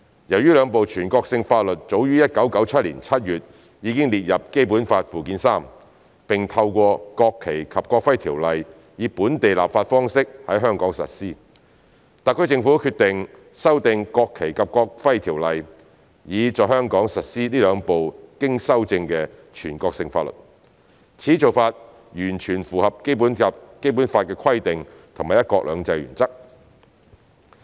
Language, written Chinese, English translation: Cantonese, 由於兩部全國性法律早於1997年7月已列入《基本法》附件三，並透過《國旗及國徽條例》以本地立法方式在香港實施，特區政府決定修訂《條例》，以在香港實施這兩部經修正的全國性法律，此做法完全符合《基本法》的規定及"一國兩制"原則。, Since the two national laws have been listed in Annex III to the Basic Law and applied locally by legislation through the enactment of National Flag and National Emblem Ordinance NFNEO as early as July 1997 the SAR Government has decided to amend NFNEO so that the two amended national laws can be applied locally . This approach is in conformity with the requirement of the Basic Law and the one country two systems principle